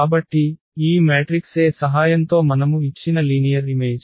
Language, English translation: Telugu, So, the given linear map we have defined with the help of this matrix A